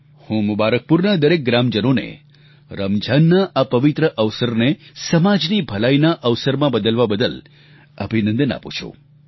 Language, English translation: Gujarati, I felicitate the residents of Mubarakpur, for transforming the pious occasion of Ramzan into an opportunity for the welfare of society on